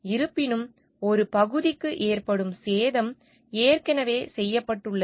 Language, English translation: Tamil, However, the damage that is done to a region has already been done